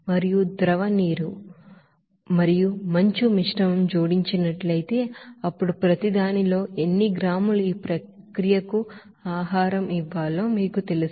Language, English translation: Telugu, And also if a mixture of liquid water and ice is added, then how many grams of each should be you know fed to the process